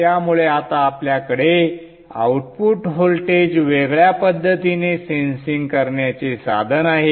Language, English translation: Marathi, So therefore now you have a means of sensing the output voltage in an isolated manner